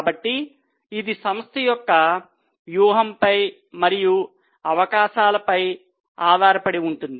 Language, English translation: Telugu, So, it depends on the strategy of the company and on the opportunities which they have